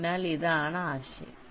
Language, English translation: Malayalam, ok, so this is the idea